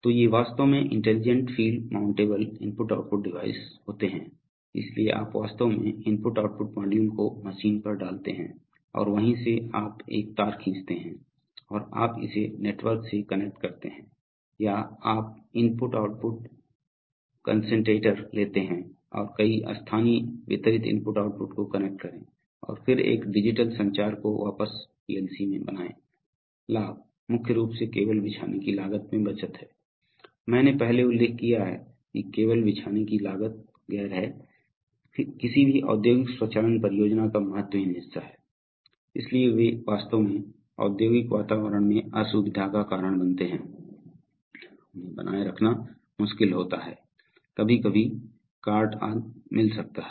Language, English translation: Hindi, So these are actually intelligent field mountable i/o devices, so you actually put the i/o module right there on the machine and from there you draw a wire or you connect it to a network or you take an input output concentrator and connect several local distributed I/O’s and then make one digital communication back to the PLC, the advantages are mainly in savings in cabling costs, I might have mentioned before that cabling costs are non, not insignificant part of any industrial automation project, so, and they actually cause inconveniences in industrial environment, they are difficult to maintain, sometimes may get cart etc